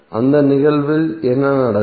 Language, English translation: Tamil, What will happen in that case